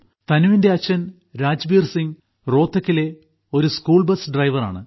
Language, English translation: Malayalam, Tanu's father Rajbir Singh is a school bus driver in Rohtak